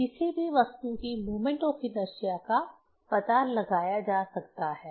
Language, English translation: Hindi, So, moment of inertia of any object one can find out